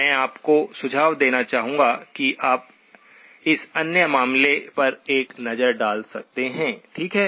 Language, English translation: Hindi, I would like you to suggest that you can take a look at this other case, okay